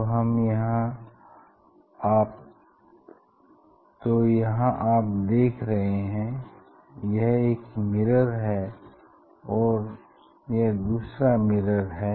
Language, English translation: Hindi, here which one is mirror 1 and mirror 2, which one is mirror 1 and mirror 2